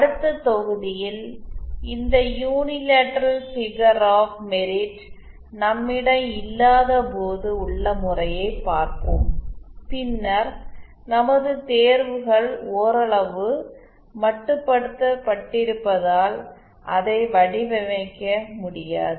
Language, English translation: Tamil, In the next module we shall be covering the case when they when we don’t have this unilateral figure of merit and then we shall that our choices are somewhat limited we cannot design it